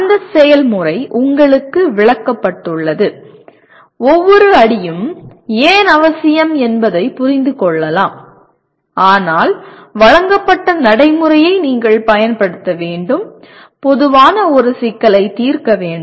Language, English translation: Tamil, That procedure is explained to you, possibly understand why each step is necessary but then you have to apply the procedure that is given to you and generally it is to solve a problem